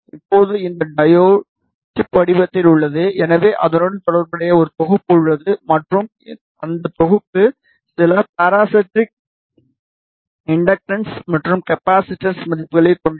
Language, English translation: Tamil, Now, this diode is of chip form so it has a package associated with it and the package will have some parasitic inductance and capacitance values